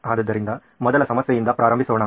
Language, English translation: Kannada, So let’s start with the first problem